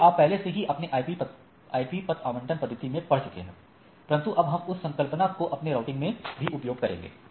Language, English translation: Hindi, These are already you have you have studied in your IP address allocation etcetera, but we can utilize this phenomena for our routing